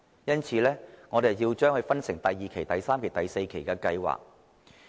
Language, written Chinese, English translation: Cantonese, 因此，要分成第二期、第三期及第四期的計劃。, Therefore the development has to be divided into phase 2 phase 3 and phase 4